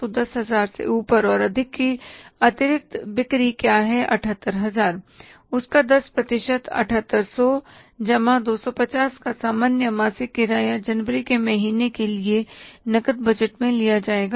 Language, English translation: Hindi, So 10% of that will be 7,800 plus 250 the normal monthly rental will be considered in the cash budget for the month of January